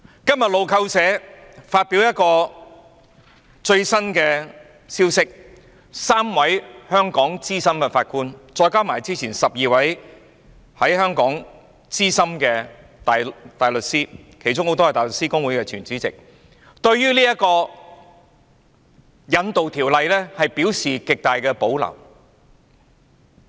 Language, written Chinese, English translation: Cantonese, 今天路透社發表了一個最新的消息 ，3 位香港資深法官，加上之前12位香港資深大律師，其中很多人是香港大律師公會的前主席，對於這項有關引渡的條例表示極大的保留。, From the latest news reported in Reuters today three senior Judges in Hong Kong had expressed grave reservations about this extradition law in addition to the 12 senior counsels expressing their position earlier many of whom are former Chairmen of the Hong Kong Bar Association